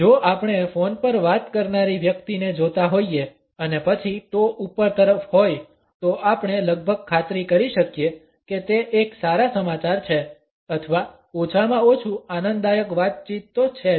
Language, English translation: Gujarati, If we happen to look at a person who is talking on a phone and then the toes are pointing upward, we can almost be sure that it is a good news or an enjoyable conversation at least